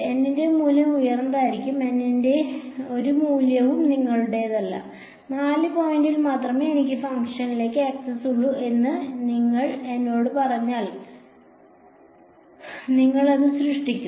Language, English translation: Malayalam, Value of N will be high, no value of N is up to you; if you tell me that I whole I have access to the function only at 4 points then you will create p 4 x